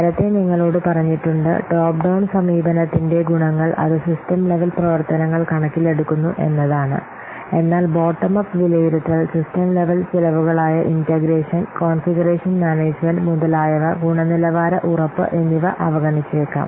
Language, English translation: Malayalam, This I have already told you earlier, the advantages of top down approach that it takes into account the system level activities but bottom of estimation may overlook many of the system level costs as integration, conclusion management, etc